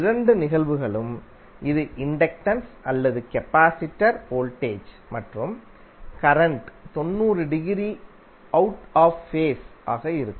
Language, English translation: Tamil, Then both of the cases, whether it is inductor and capacitor voltage and current would be 90 degree out of phase